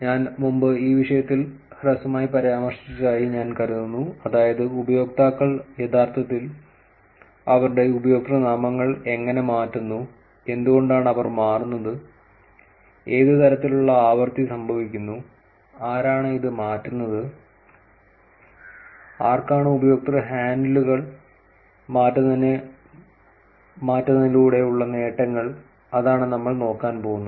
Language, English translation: Malayalam, I think we have mentioned in this topic briefly in the past, which is that how users actually change their usernames, why do they change, what level of frequency does the change happen, who are these people who are changing it, and what are the benefits by changing the user handles that is what we are going to look at